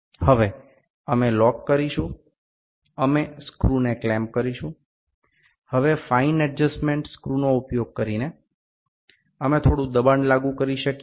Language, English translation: Gujarati, Now, we will lock we clamp the screw, now using fine adjustment screw, we can apply a little pressure